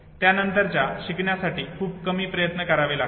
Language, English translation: Marathi, Subsequent learning takes very few attempts